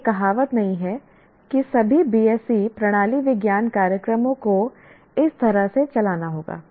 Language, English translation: Hindi, It is not saying that all BSC Zoology programs have to be given this way